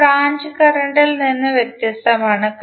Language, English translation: Malayalam, And it is different from the branch current